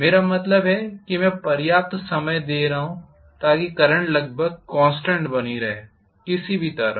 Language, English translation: Hindi, What I mean is I am giving sufficient time, so that the current almost persists at a constant value, no matter what